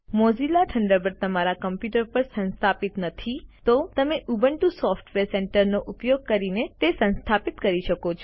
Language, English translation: Gujarati, If you do not have Mozilla Thunderbird installed on your computer, you can install it by using Ubuntu Software Centre